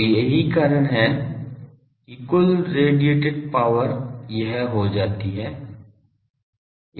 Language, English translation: Hindi, So, this is the reason the total radiated power for this choice becomes this